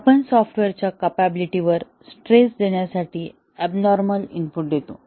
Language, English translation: Marathi, Here, we give abnormal inputs to stress the capability of the software